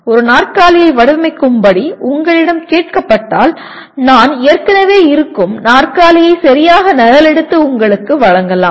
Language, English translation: Tamil, When you are asked to design a chair, I may exactly copy an existing chair and give you that